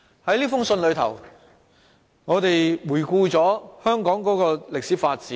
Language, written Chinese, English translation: Cantonese, 在這信中，我們回顧香港的歷史發展。, We also reviewed the historical development of Hong Kong in the letter